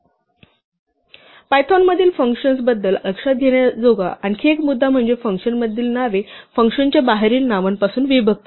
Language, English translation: Marathi, Another point to note about functions in Python is that names within a function are disjoint from names outside a function